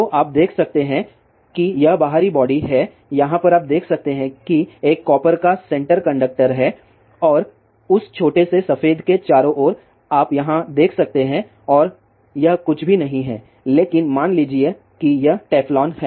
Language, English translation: Hindi, So, you can see that this is the outer body over here in between you can see there is a copper center conductor and around that little bit white you can see over here and that is nothing, but suppose to be teflon